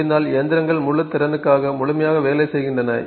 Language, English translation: Tamil, The machines are completely working for the full capacity if possible